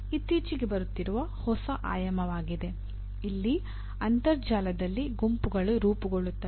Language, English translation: Kannada, This is a new dimension that has been coming of late where groups are formed over the internet